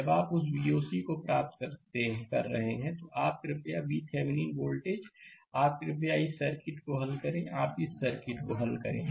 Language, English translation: Hindi, When you are obtaining that V o c, you please that V Thevenin voltage, you please solve this circuit you please solve this circuit right